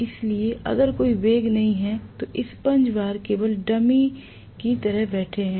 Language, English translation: Hindi, So, if there is no relative velocity the damper bars are just sitting there like a dummy